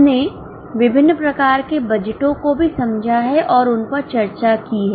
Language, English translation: Hindi, We have also understood and discussed various types of budgets